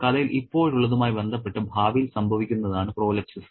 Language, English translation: Malayalam, Prolapses is what happens in the future with respect to now in the story